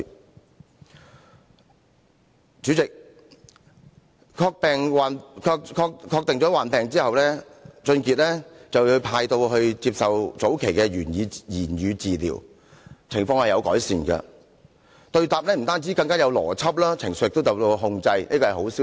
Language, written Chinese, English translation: Cantonese, 代理主席，確定患病之後，王俊傑被安排接受早期的言語治療，情況確有改善，對答不但更有邏輯，情緒亦受到控制，這是一個好消息。, Deputy President after his symptoms were confirmed WONG Chun - kit was arranged to receive early speech therapy . His symptoms were then improved . His conversation became more logical and his emotions were in control